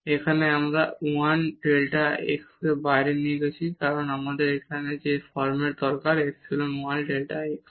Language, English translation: Bengali, Here we have taken this 1 delta x outside because, we need that format here epsilon 1 delta x